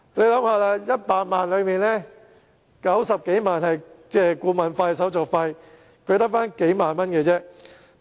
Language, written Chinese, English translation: Cantonese, 試想一下 ，100 萬元中有90多萬元是顧問費和手續費，他只得數萬元貸款。, Come to think about this . Over 900,000 out of 1 million was consultancy fees and administration fees . He received only several ten thousand dollars of the loan